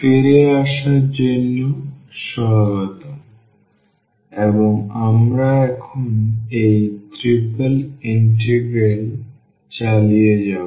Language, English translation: Bengali, So, welcome back and we will continue now this Triple Integral